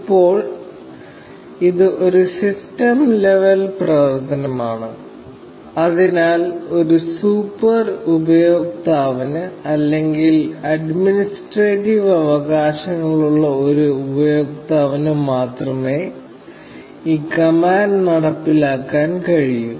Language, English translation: Malayalam, Now, this is a system level operation; so, only a super user, or a user with administrative rights, can execute this command